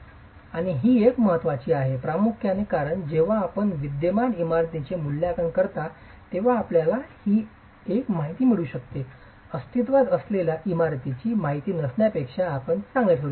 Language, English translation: Marathi, And this is an important information primarily because when you are doing assessment of existing buildings, if you can get this one information, you are better place than having no information for an existing building